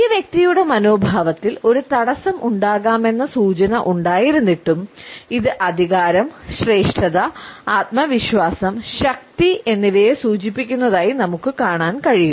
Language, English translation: Malayalam, Despite this indication that a barrier may be present in the attitude of this individual we find that it suggest is certain authority is sense of superiority confidence and power